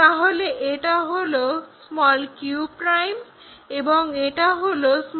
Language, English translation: Bengali, Let us join this p and r' also, p' and r'